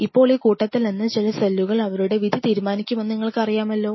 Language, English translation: Malayalam, Now from this mass some of the cells decided that you know they will decide their own fate